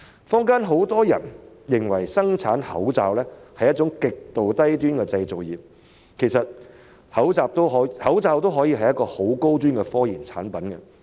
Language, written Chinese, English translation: Cantonese, 坊間很多人認為生產口罩是一種極度低端的製造業，其實口罩亦可以是一種高端科研產品。, While many members of the community think that mask production is an extremely low - end manufacturing industry masks can actually be a type of high - end technology products